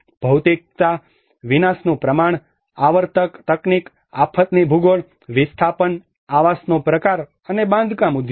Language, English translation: Gujarati, The materiality; the scale of destruction, the recurrent technology, the geography of the disaster, the displacement, the type of housing and the construction industry